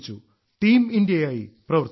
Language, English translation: Malayalam, We worked as Team India